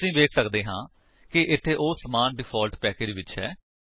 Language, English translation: Punjabi, We can see that, here, they are in the same default package